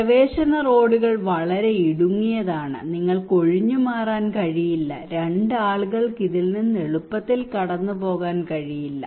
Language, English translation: Malayalam, Access roads are very narrow; you cannot evacuate, two people cannot pass easily from this one